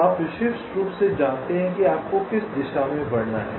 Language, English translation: Hindi, so you know uniquely which direction you have to move right